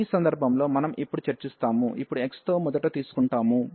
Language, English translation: Telugu, So, in this case we will now discuss, now we will take first with respect to x